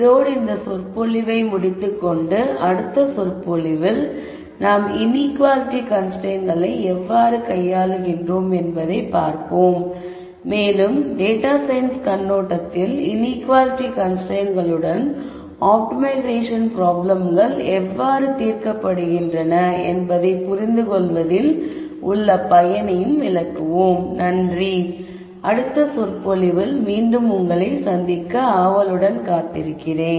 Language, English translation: Tamil, With this I will conclude this lecture and in the next lecture we will look at how we handle inequality constraints and I will also explain why we are interested in understanding how optimization problems are solved with inequality constraints from a data science perspective